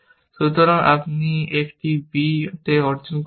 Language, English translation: Bengali, So, you will achieve on a b